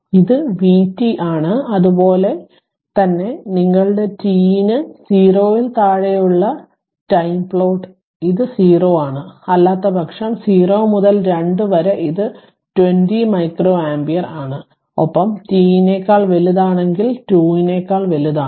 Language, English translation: Malayalam, So, this is vt and similarly if you plot i t for I for your ah for ah t less than 0 it is 0, otherwise for in between 0 to 2 it is 20 micro your ampere and in and if it is greater than t is greater than ah 2 right